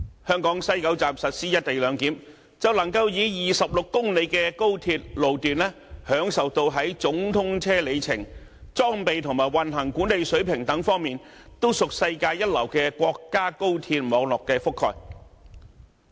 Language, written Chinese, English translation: Cantonese, 香港西九站實施"一地兩檢"，便能夠以26公里的高鐵路段，享受到在總通車里程、裝備和運行管理等方面，都屬世界一流國家高鐵網絡的覆蓋。, If the co - location arrangement is implemented at West Kowloon Station Hong Kong with the 26 - km Hong Kong Section of XRL can enjoy the coverage of the world - class national HSR network in terms of the total length equipment and operational management of the network